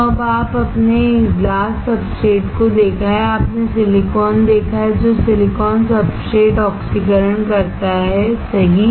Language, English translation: Hindi, So, now you have seen the glass substrate, you have seen silicon which is oxidized silicon substrate, cool